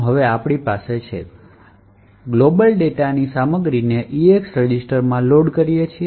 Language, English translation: Gujarati, Now, we load the contents of that global data into EAX register